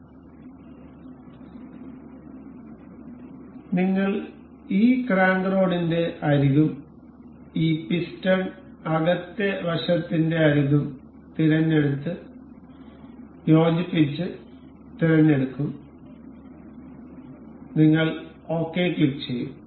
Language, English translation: Malayalam, So, for this we will select the edge of this crank rod and the edge of this piston inner side, and make it coincide, and we will click ok